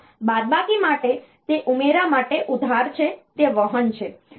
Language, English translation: Gujarati, So, for subtraction it is a borrow for a addition it is a carry